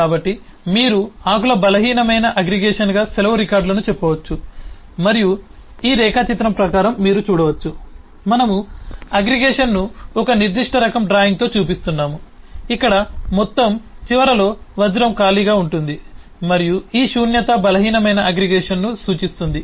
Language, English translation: Telugu, so you can say leave records as a weak aggregation of the leaves and you can see that in terms of this eh diagram we are showing this aggregation eh with a certain eh type of eh eh drawing where there is a diamond at the aggregate end which is empty and this emptiness represent weak aggregation